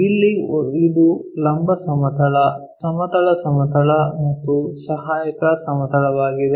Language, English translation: Kannada, Here, we have this is vertical plane, horizontal plane and our auxiliary plane is this